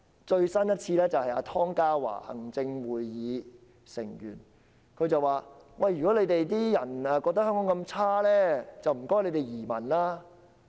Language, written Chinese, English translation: Cantonese, 最新的說法來自行政會議成員湯家驊，他說如果大家認為香港那麼糟糕便請移民。, The latest one is made by Executive Council Member Ronny TONG who said that people who considered Hong Kong terrible might as well emigrate